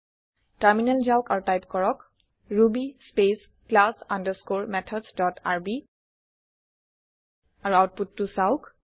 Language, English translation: Assamese, Switch to the terminal and type ruby space class underscore methods dot rb and see the output